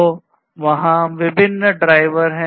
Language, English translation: Hindi, So, there are different drivers